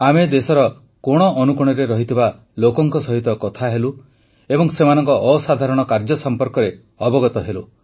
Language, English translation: Odia, We spoke to people across each and every corner of the country and learnt about their extraordinary work